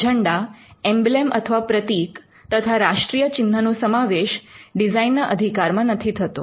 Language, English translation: Gujarati, Flags, emblems and national symbols cannot be a subject matter of design right